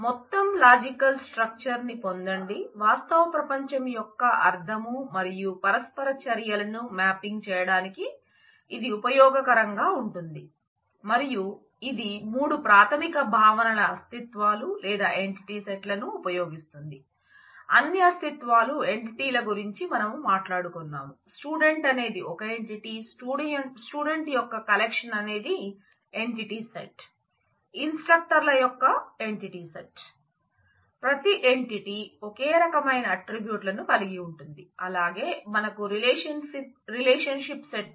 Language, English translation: Telugu, Get the overall logical structure it is useful in mapping the meaning and interactions of the real world in terms of certain diagrammatic schemas and it employs 3 basic concepts entities or entity sets we talked about entities, all entities that share the same set of properties like if student is an entity, then the collection of student is an entity set a instructor is an entity collection of instructors is an entity set